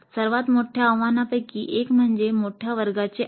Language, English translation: Marathi, One of the biggest challenges would be the large class size